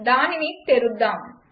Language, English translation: Telugu, Lets open it